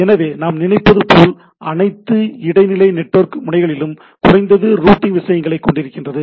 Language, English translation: Tamil, So, it is all what we are thinking that all intermediate network node are having at least routing things